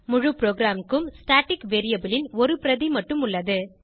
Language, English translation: Tamil, Only one copy of the static variable exists for the whole program